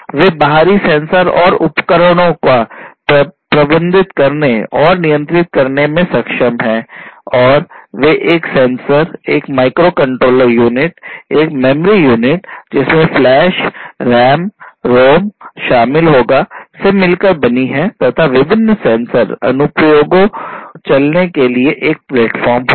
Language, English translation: Hindi, They are capable of managing and controlling external sensors and devices and they would comprise of a sensor, a microcontroller unit, a memory unit comprising of flash RAM, ROM and a platform for running different sensor applications